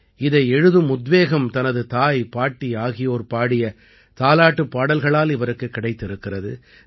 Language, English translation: Tamil, He got the inspiration to write this from the lullabies sung by his mother and grandmother